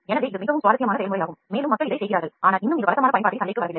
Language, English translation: Tamil, So, this is a very very interesting process and people are working on it, but still it has not come to the market in regular use